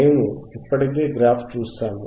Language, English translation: Telugu, We have already seen the graph